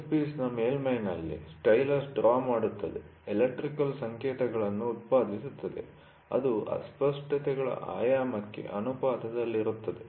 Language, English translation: Kannada, The stylus draws across a surface of the workpiece generates electrical signals that are proportional to the dimension of the asperities